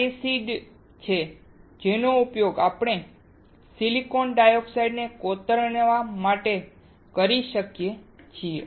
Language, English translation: Gujarati, This is the acid that we can use to etch the silicon dioxide